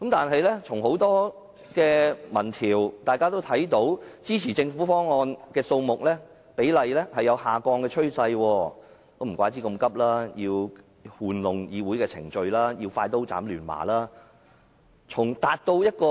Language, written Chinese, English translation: Cantonese, 很多民意調查也顯示，支持政府方案的人數比例呈下降的趨勢，難怪政府這麼趕急，要玩弄議會的程序，要快刀斬亂麻。, Many opinion polls showed that the number of supporters of the Governments proposal is dropping . No wonder the Government is cutting the Gordian knot by exploiting the Council procedure